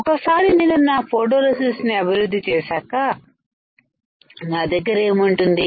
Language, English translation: Telugu, Once I develop my photoresist what will I have